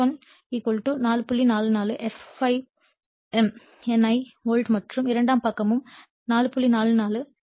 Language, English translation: Tamil, 44 f ∅ m N1 volt and the secondary side also 4